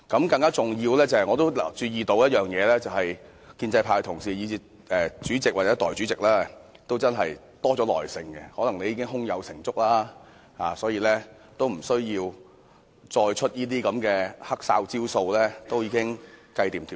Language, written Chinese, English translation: Cantonese, 更加重要的是，我注意到建制派同事、主席或代理主席也真的多了一點耐性，可能你們已經胸有成竹，不需要再使出某些"黑哨"招數，一切已盡在掌握之中。, More important still I notice that colleagues from the pro - establishment camp the President or the Deputy President are exercising a little more patience now . This may due to the fact that everything is already under control and there is no need for you to play such tricks any longer when you are confident enough